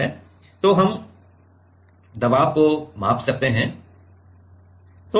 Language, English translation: Hindi, So, then we can measure the pressure